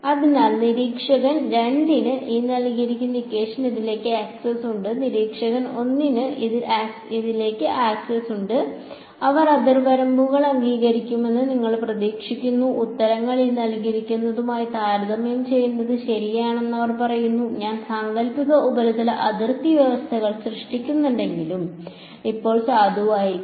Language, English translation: Malayalam, So, observer 2 has access to this n cross E 2 and observer 1 has access to this and they say fine they compare n cross E 2 n cross E 1 what do you expect the answers to be they will agree boundary conditions, even though I have created hypothetical surface boundary conditions should still be valid